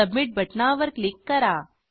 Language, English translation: Marathi, Then click on Submit button